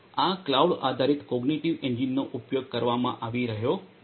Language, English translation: Gujarati, This cloud based cognitive engines are being used